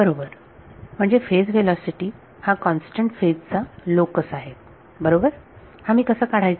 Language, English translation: Marathi, Right; so, phase velocity is the locus of constant phase right, how do I obtain this